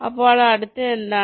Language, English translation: Malayalam, so what next